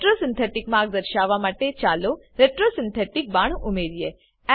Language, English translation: Gujarati, Let us add a retro synthetic arrow, to show the retro synthetic pathway